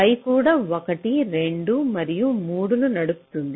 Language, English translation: Telugu, y is also driving one, two and three